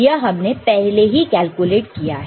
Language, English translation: Hindi, We have already calculated this one ok